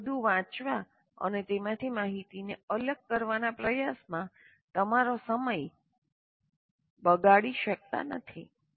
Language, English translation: Gujarati, So you cannot waste your time in trying to read everything and distill information from that